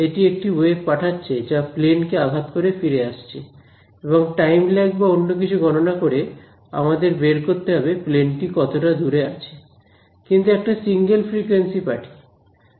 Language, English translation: Bengali, It is sending a wave is hitting the plane and coming back and by calculating let us say time lag or something to find out how far it is, but it is sending a single frequency